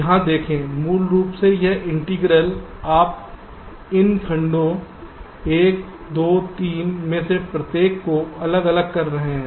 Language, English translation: Hindi, basically, this integral you are separating out between these, each of these segments, one, two, three